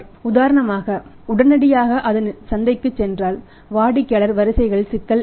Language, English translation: Tamil, If for example immediately that also goes to the market so then there will be the problem of the customer queues